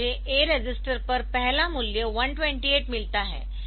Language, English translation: Hindi, So, I get the first value 128 onto the a register